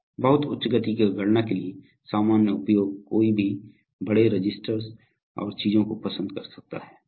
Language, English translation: Hindi, So general use for very high speed count, so one could, one would have large registers and things like that